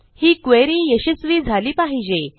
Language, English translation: Marathi, So, that should be a successful query